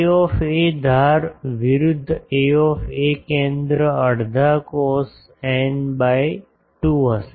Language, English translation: Gujarati, A a edge versus centre will be half cos n by 2